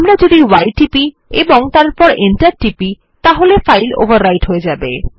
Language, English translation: Bengali, If we press y and then press enter, the file would be actually overwritten